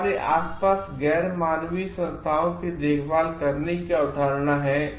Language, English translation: Hindi, It is a concept of caring for the non human entities around us